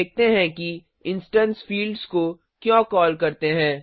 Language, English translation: Hindi, Now let us see why instance fields are called so